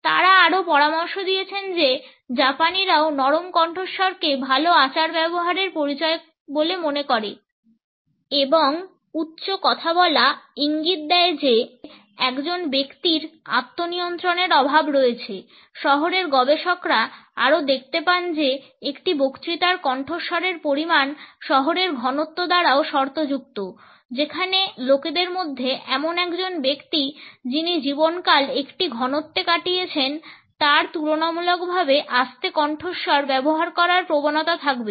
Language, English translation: Bengali, They have also suggested that the Japanese also associate using a soft voice with good manners and think that speaking in a loud voice suggest that a person is lacking self control, city researchers also find that the volume of a speech is also conditioned by the city density where the people are from a person who has spent lifetime in a density would tend to use my relatively low volume